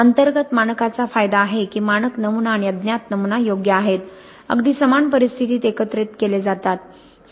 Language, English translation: Marathi, Internal standard has the advantage that the standard pattern and the unknown pattern are correct, collected under exactly the same conditions